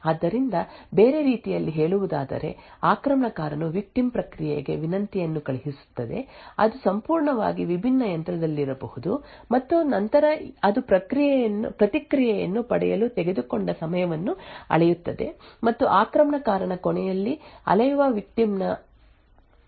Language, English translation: Kannada, So in other words the attacker would send a request to the victim process which may be in a completely different machine and then it measures the time taken for the response to be obtained the differences in execution time that is measured at the attacker’s end is then used to obtain some sensitive information about the victim